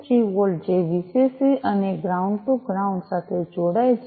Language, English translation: Gujarati, 3 volts this one connects to the Vcc and ground to ground